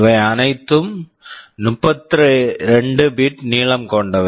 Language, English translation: Tamil, All of these are 32 bit long